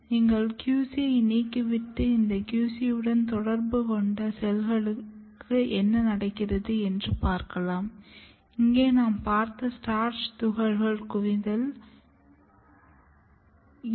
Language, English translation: Tamil, And if you ablate the QC and look what happens to the cells which are in contact with this QC